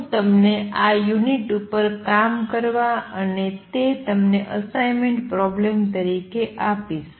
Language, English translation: Gujarati, I will let you work out these units and give this as an assignment problem